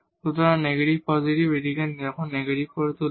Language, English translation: Bengali, So, this negative positive will make it negative now